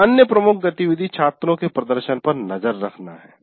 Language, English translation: Hindi, And another major activity is to keep track of students' performance